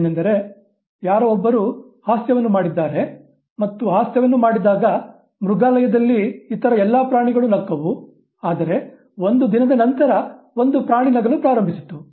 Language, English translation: Kannada, That, you know, somebody had cut a joke and then all other animals in the zoo laughed at the time when the joke was cut, one animal started laughing a day later